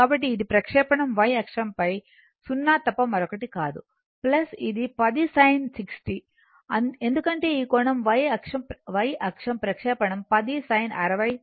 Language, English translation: Telugu, So, it is a projectional y axis is nothing but 0 , plus it is 10 sin 60 because this angle is y axis ah projection is 10 sin 60 that is 8